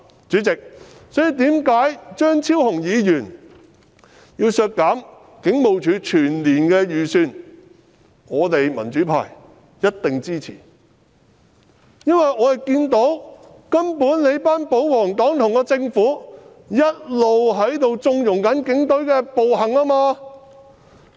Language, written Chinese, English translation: Cantonese, 主席，這便是為何張超雄議員要求削減警務處全年開支預算的原因，我們民主派一定支持，因為我們看到保皇黨和政府一直在縱容警隊的暴行。, Chairman this is the reason why Dr Fernando CHEUNG demanded a reduction of the estimated expenditure for the Hong Kong Police Force HKPF for the whole year . We in the pro - democracy camp definitely support it because we have seen that the royalist camp and the Government have all along condoned the evil deeds of the Police